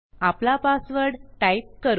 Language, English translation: Marathi, I type my password